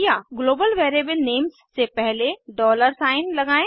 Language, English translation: Hindi, Global variable names are prefixed with a dollar sign ($)